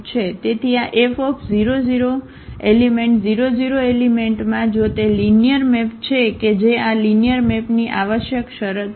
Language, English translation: Gujarati, So, this F must map the 0 0 element to the 0 0 element if it is a linear map that is a necessary condition of this linear map